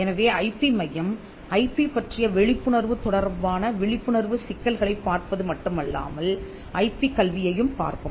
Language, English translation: Tamil, So, the IP centre would not only look at awareness issues with regard to awareness of IP it would also be looking at IP education